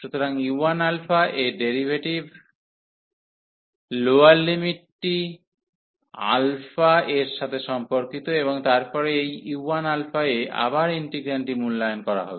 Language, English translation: Bengali, So, the derivative of u 1 the lower limit with respect to alpha, and then the integrand will be evaluated again at this u 1 alpha